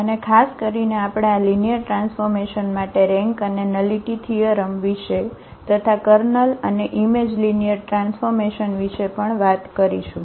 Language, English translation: Gujarati, And in particular we will also talk about the rank and nullity theorem for these linear transformations and also the kernel and image of linear transformations